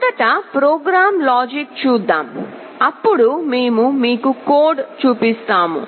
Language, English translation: Telugu, Let us look at the program logic first, then we shall be showing you the code